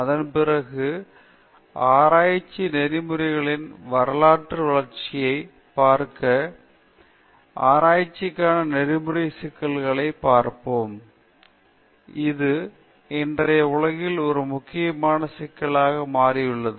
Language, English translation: Tamil, Then, afterwards, we will try to see the historical evolution of research ethics or rather ethical issues in research, how this has become an important issue in todayÕs world